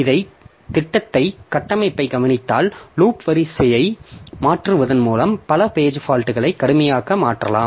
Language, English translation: Tamil, So, if you look into the structure of this program, so by changing the loop order, so a number of page faults can drastically change